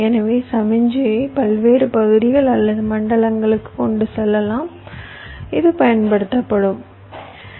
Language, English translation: Tamil, so this can also be used to carry the signal to various regions or zones